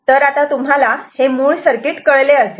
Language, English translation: Marathi, So, this is the basic circuit